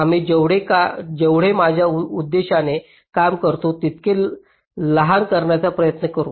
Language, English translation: Marathi, we will try to use it as small as it serves my purpose